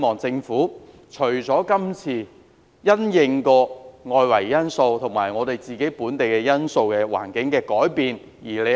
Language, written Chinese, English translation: Cantonese, 政府這次因應外圍環境及本地因素而作出這項調整。, The Government has made this adjustment in response to the external environment and local factors